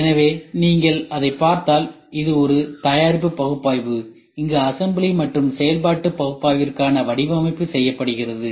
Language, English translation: Tamil, So, if you look at it so this is a product analysis where and which design for assembly and functionality analysis is done